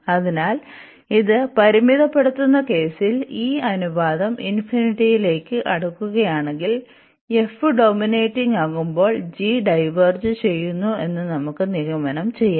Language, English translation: Malayalam, So, if this is approaching to infinity in the limiting case this ratio, so in that case this f is dominating and then if we can conclude that if g diverges